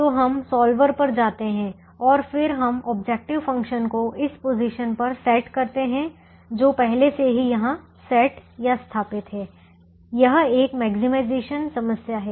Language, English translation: Hindi, so we go to the solver and then we set the objective function to this position, which is already set here, and the three constraints are here which i have already set here